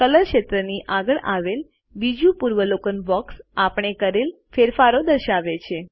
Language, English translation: Gujarati, The second preview box next to the Color field shows the changes that we made